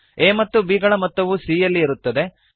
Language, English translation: Kannada, c holds the sum of a and b